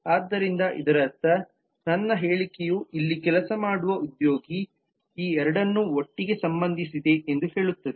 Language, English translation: Kannada, so this will mean that my statement says see, for example, here that it says that the employee who work so that relates these two together